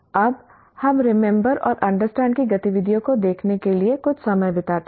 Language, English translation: Hindi, Now we spend some time in looking at the remember and understand activities